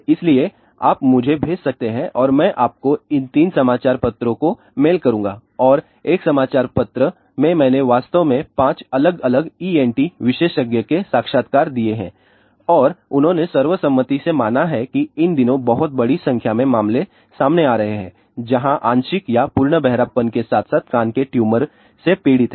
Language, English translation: Hindi, So, you can send me and I will mail you these ah three newsletters and in one of the newsletters I have actually given the interviews of five different ENT specialist and they have unanimously agreed that there are getting very large number of cases these days where people are suffering from partial or full hearing loss as well as ear tumor